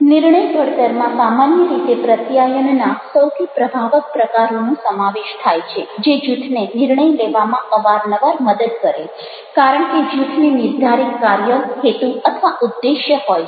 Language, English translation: Gujarati, discussion of group decision making usually involves looking at the most effective forms of communication that help groups to reach decisions, often because groups have a set task, purpose or objective